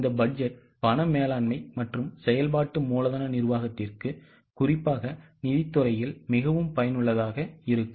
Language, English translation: Tamil, This budget is particularly useful for cash management and working capital management, particularly in the field of finance